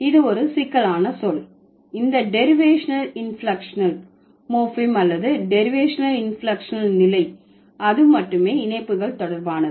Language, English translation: Tamil, So, when it is a complex word, this derivational inflectional morphem or the derivational inflectional status, it is related to only affixes